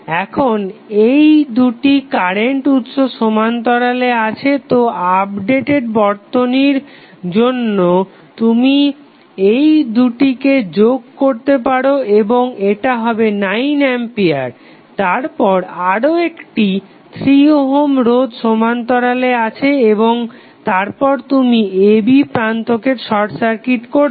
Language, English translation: Bengali, Now, if you see these two current sources are in parallel so updated current source you can add both of them and it will become 9 ampere then you will have another resistance 3 ohm in parallel 3 ohm resistance in series and then you have short circuited the terminal a, b